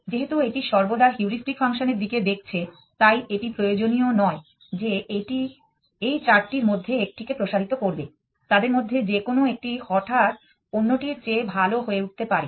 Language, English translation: Bengali, Since it always looking at the heuristic function it not necessary that it will expand one of these four any one of them could suddenly turn out to be better than that